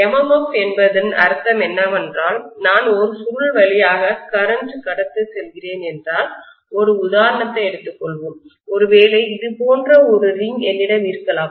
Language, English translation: Tamil, What we mean by MMF is if I am passing a current through a coil, let us take probably an example, maybe I have a ring like this